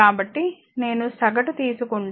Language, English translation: Telugu, So, if you take the average